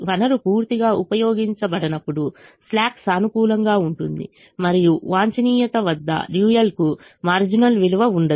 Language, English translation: Telugu, when the resource is not utilized fully, the slack is positive and the dual will not have a marginal value at the optimum